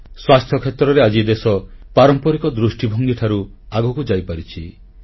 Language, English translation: Odia, In the health sector the nation has now moved ahead from the conventional approach